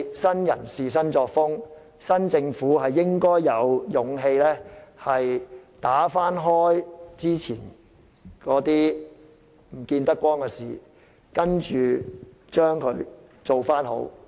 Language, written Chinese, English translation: Cantonese, 新人事、新作風，新政府應該有勇氣翻開之前見不得光的事，使之重返正軌。, A new broom sweeps clean . The new government should have the courage to expose things that could not be revealed in the past and put things back on the right track